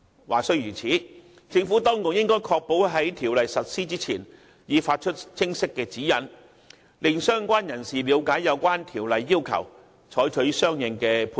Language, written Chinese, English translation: Cantonese, 話雖如此，政府當局應確保在《條例草案》實施前已發出清晰指引，令相關人士了解有關《條例草案》的要求，採取相應行動以作出配合。, That said the Administration should ensure that clear guidelines are issued prior to the effective date of the new ordinance so that relevant parties will understand the requirements of the Bill and take corresponding actions to facilitate the arrangements